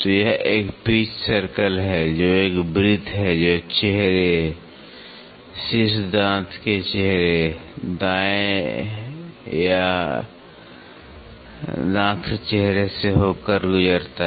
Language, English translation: Hindi, So, this is a pitch circle which a circle which passes through the face, top tooth face, right or the yeah tooth face